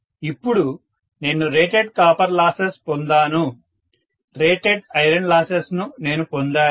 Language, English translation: Telugu, So now I have got what is rated copper loss, I have got what is rated iron loss, right